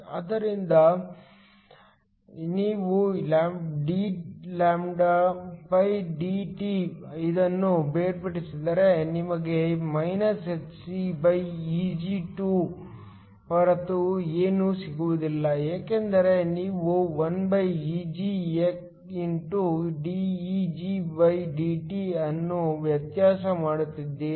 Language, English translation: Kannada, So, if we differentiate this we get dλdT is nothing but hcEg2 since you are differentiating 1Eg xdEgdT